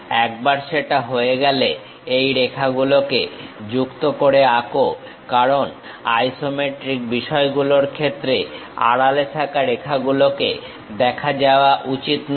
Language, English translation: Bengali, Once that is done draw join these lines because hidden line should not be visible in the case of isometric things, we remove those hidden lines